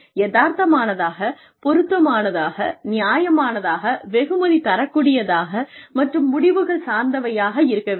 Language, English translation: Tamil, Realistic, relevant, reasonable, rewarding, and results oriented